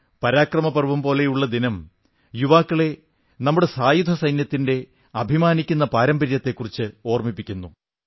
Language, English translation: Malayalam, A day such as ParaakaramPrava reminds our youth of the glorious heritage of our Army